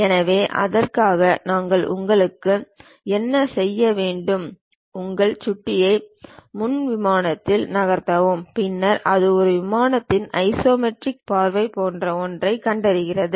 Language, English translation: Tamil, So, for that what we have to do you, move your mouse onto Front Plane, then it detects something like a Isometric view of a plane